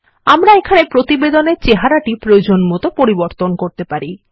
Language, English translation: Bengali, We can customize the look and feel of the report here